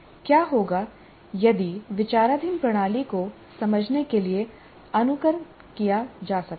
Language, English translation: Hindi, And what if simulation of the system under consideration obviously greatly facilitates understanding